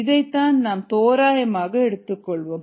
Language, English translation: Tamil, that's what we are approximating